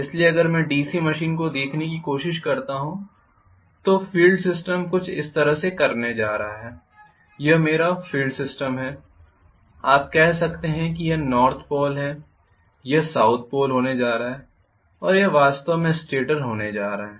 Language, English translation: Hindi, So if I try to look at the DC machine I am going to have the field system somewhat like this, this is my field system you can say may be this is north pole this is going to be south pole and it is going to actually be the stator